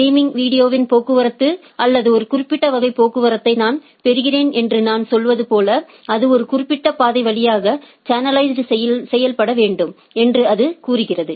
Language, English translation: Tamil, Like I say I get a traffic of streaming video or a particular type of traffic then, it says that it should be channelized to a through a particular path